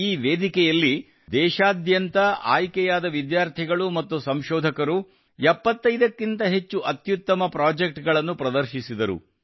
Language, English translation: Kannada, In this fair, students and researchers who came from all over the country, displayed more than 75 best projects